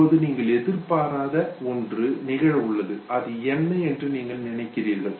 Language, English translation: Tamil, Now you have an unexpected event, you just think what is it